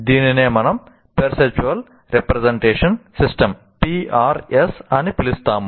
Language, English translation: Telugu, This is what we call perceptual representation system